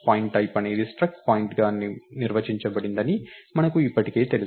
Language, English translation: Telugu, So we already know pointType is defined to be struct point